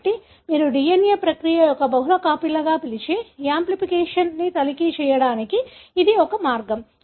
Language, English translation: Telugu, So, this is one way you can check the amplification, what you call as multiple copies of the DNA process